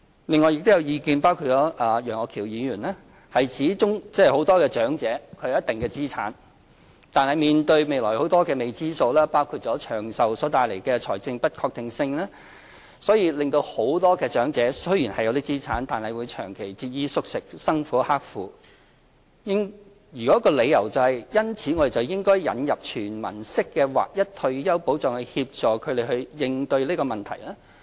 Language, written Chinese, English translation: Cantonese, 另外，有意見——包括楊岳橋議員——指縱使有些長者有一定資產，但面對未來許多的未知數，包括因長壽帶來的財政不確定性，所以令很多長者雖然有很多資產，但長期節衣縮食，生活刻苦，因此應該引入"全民式"劃一退休保障以協助他們應對這問題。, Furthermore there are opinions Mr Alvin YEUNGs included stating that many elderly people have all along been leading a frugal and impoverished life even though they do hold a certain level of assets . According to these views the elderly people do so because of the considerable uncertainties ahead such as the financial uncertainties brought about by longevity . Therefore as suggested by these comments we should introduce an universal and uniform retirement protection scheme to assist these elderly persons